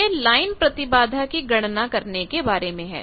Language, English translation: Hindi, This is about line impedance calculation